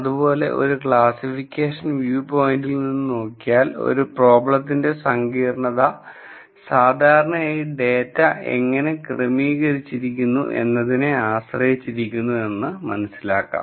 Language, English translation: Malayalam, Now from a classification view point, the complexity of the problem typically depends on how the data is organized